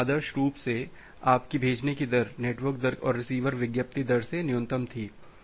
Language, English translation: Hindi, So, ideally your sending rate was minimum of network rate and receiver advertised rate